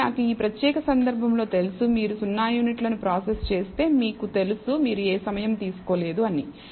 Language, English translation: Telugu, So, I know in this particular case perhaps that that if you process 0 units you should not have taken any time